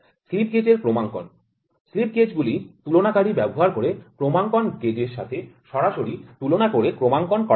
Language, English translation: Bengali, Calibration of slip gauges; slip gauges are calibrated by direct comparison with calibration gauge using a comparator